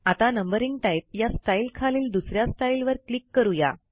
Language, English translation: Marathi, So let us click on the second style under the Numbering type style